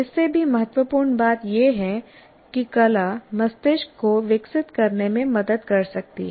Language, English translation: Hindi, And more importantly, arts can help develop the brain